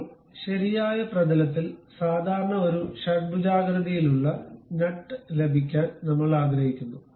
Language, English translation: Malayalam, Now, on the right plane normal to that we want to have a hexagonal nut